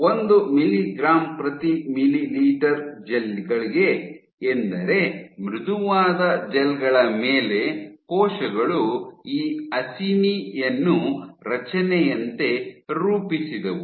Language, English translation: Kannada, So, on the 1 mg per ml gels, on the on the soft gels, what she found was the cells formed this acini like structure